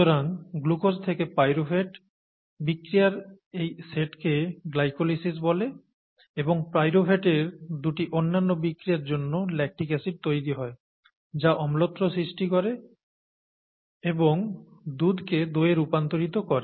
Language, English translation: Bengali, So glucose to pyruvate, has, these set of reactions has a name it’s called glycolysis and as a result of this lactic acid gets formed as a result of two other reactions from pyruvate, lactic acid gets formed which causes acidification and formation and curdling of milk